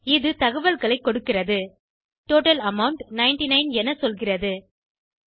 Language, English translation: Tamil, It gives the details, ok and says the total amount is 99